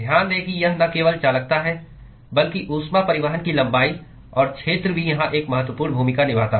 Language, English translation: Hindi, Note that it is not just conductivity, but also the length and the area of heat transport plays an important role here